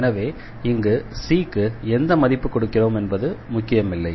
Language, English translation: Tamil, For any value of C, that will be the solution